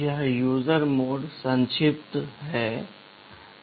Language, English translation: Hindi, This user mode acronym is usr